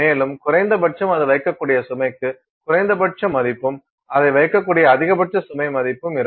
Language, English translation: Tamil, And, then minimums it will have a minimum value for the load it can put and a maximum value of load it can put